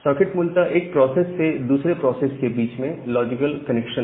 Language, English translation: Hindi, So, socket is basically a logical connection from one process to another process